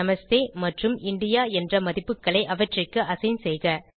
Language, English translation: Tamil, Assign these values to them Namaste and India